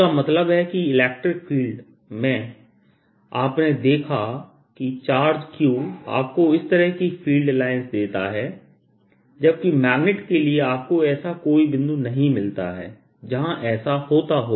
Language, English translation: Hindi, that means, although in the electric field you saw, the charge q gave you free line like this, in magnetic case you never find a point where it happens